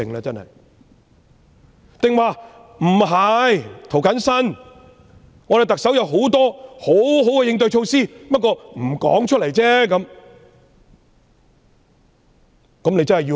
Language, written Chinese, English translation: Cantonese, 別人可能會反駁說："涂謹申，特首有多項應對措施，只是沒有說出來而已。, Other people may refute by saying James TO the Chief Executive has a number of measures to address the issue only that she has not announced them yet